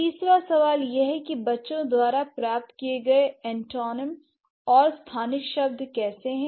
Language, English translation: Hindi, Third question is, how does, like how are the antonyms and special terms acquired by children